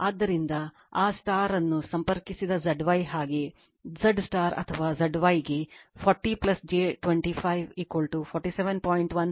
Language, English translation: Kannada, So, Z y that star connected it is so, Z star or Z y is given 40 plus j 25 is equal to 47